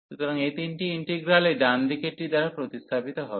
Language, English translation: Bengali, So, these three integrals will be replaced by these right hand side terms